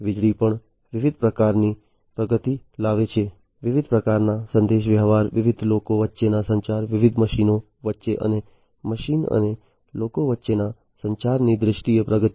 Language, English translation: Gujarati, Electricity, likewise, also bring brought in lot of different types of advancements; advancements in terms of different types of communications, communication between different people communication, between different machines, and between machine and people